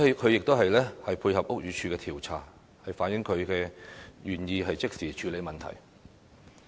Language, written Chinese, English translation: Cantonese, 她亦已經配合屋宇署調查，反映她是願意即時處理問題。, Her support of the investigation conducted by the Buildings Department reflects her willingness to tackle the problems immediately